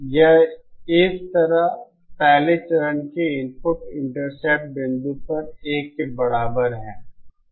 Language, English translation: Hindi, This is equal to 1 over the input intercept point of the first stage like this